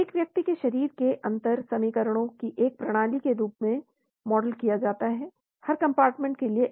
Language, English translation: Hindi, , a person's body is modeled with a system of differential equations one for each compartment